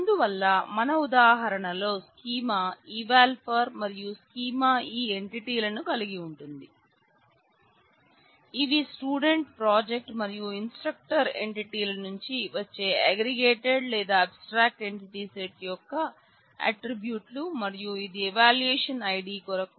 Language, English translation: Telugu, So, in our example the schema would be eval four and that schema will have these are entities these are attributes of the aggregated or abstract entity set which is coming from the student project and the instructor entities and this is for the evaluation ID